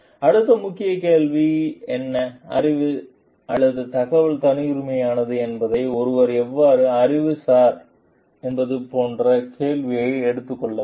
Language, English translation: Tamil, In the next key question will be taking up like: how does one know what knowledge or information is proprietary